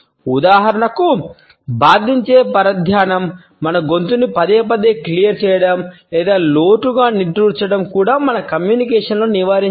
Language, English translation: Telugu, Annoying distractions for example, clearing our throats repeatedly or sighing deeply should also be avoided in our communication